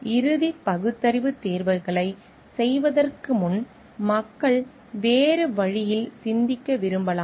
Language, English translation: Tamil, Before making the final rational choices, people may think like to think in a different way